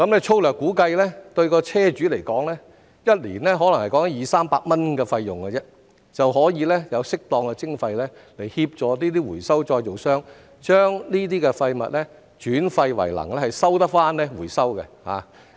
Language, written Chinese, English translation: Cantonese, 粗略估計，對車主來說，每年可能只是二三百元的費用，便已經可以有適當的徵費來協助回收再造商把這些廢物轉廢為能，可以回收。, As a rough estimate to vehicle owners it may only cost 200 to 300 a year which can serve as an appropriate levy to assist recyclers in recycling and turning waste into energy